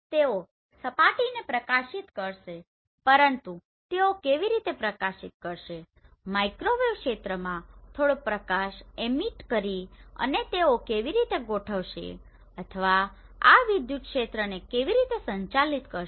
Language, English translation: Gujarati, They will illuminate the surface but how they will illuminate by emitting some light in microwave region and how they will be aligned or how this electric field will be managed